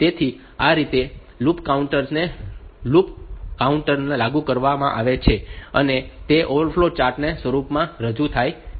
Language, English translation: Gujarati, So, this way this loop counter is implemented loop counter is represented in the form of a flow chart